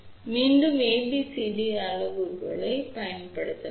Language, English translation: Tamil, So, again we can use ABCD parameters